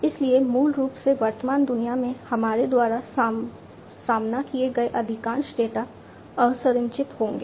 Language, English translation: Hindi, So, basically most of the data that we encountered in the present day world, would be unstructured